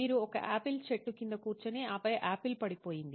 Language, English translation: Telugu, Do you sit under an apple tree and the apple fell